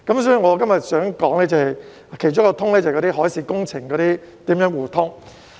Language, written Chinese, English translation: Cantonese, 所以，我今天想說的其中一種"通"，就是海事工程如何互通。, Therefore one of the different kinds of access that I would like to talk about today is the mutual access in the context of marine works